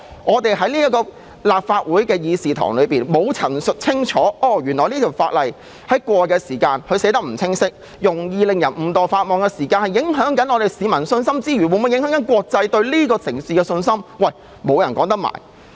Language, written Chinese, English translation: Cantonese, 我們要在立法會議事堂陳述清楚，如果法例條文不清晰，容易令人誤墮法網，既會影響市民信心，亦可能影響國際對這個城市的信心。, We must clearly state in the Chamber that if ambiguous clauses of the Bill will make people inadvertently break the law not only will public confidence be dampened but confidence of the international community in Hong Kong may also be affected